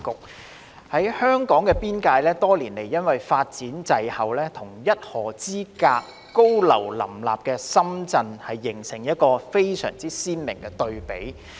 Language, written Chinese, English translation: Cantonese, 另一方面，香港邊境地帶多年來發展滯後，與僅一河之隔、高廈林立的深圳形成鮮明對比。, On the other hand the development of the border zone of Hong Kong has lagged behind for years striking a stark contrast with Shenzhen which is located just a river apart and packed with high - rise buildings